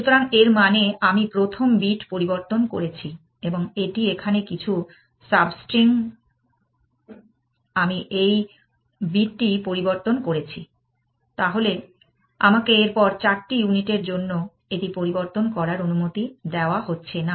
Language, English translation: Bengali, So, that means, I have changed the first bit and this is some substring here, I have changed this bit, I am not allowed to change it for four units